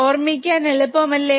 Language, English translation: Malayalam, It is easy to remember